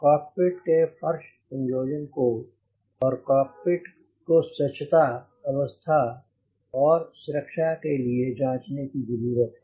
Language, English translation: Hindi, it calls for checking the cockpit floor assembly and cockpit for cleanliness, condition and security